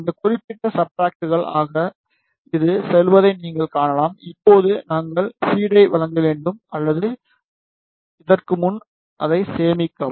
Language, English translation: Tamil, You can see it is going inside this particular substrate Now, we need to provide the feed or before this just save it